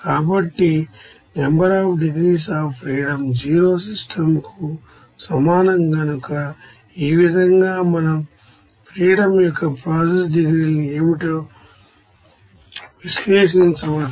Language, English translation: Telugu, So, since NDF is equal to 0 system is completely defined like in this way we can analyze what should be the process degrees of freedom ok